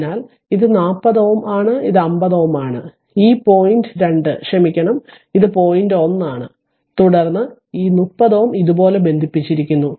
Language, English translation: Malayalam, So, this is 40 ohm and this is your 50 ohm right and this point is your this point is 2 sorry this point is 1 and then your what you call this 30 ohm is connected like this